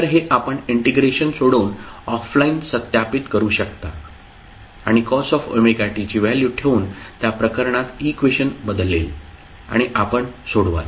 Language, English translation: Marathi, So, this you can verify offline by solving the integration and putting up the value of cos omega t, the expression will change in that case and you will solve